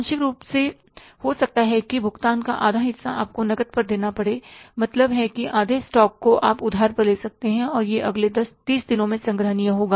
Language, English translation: Hindi, Partly, maybe half of the payment you have to make on cash, half of the, means stock you can take on the credit and that will be collectible in the next 30 days